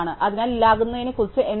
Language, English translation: Malayalam, So, what about deleting